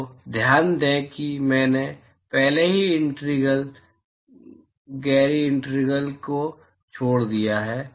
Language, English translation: Hindi, So, note that I have already skipped the integrals, gory integrals